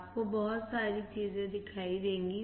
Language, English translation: Hindi, You will see lot of things